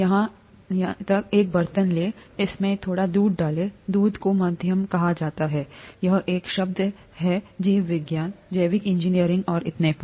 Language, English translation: Hindi, Take a vessel here, pour some milk into it, milk is called the medium; this is a term that is used in biology, biology, biological engineering and so on